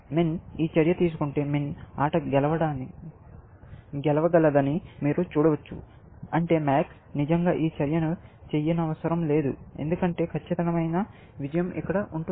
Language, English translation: Telugu, You can see that if min makes this move, then min can win the game, which means, max should not really, make this move, essentially, because perfect win will have been here, essentially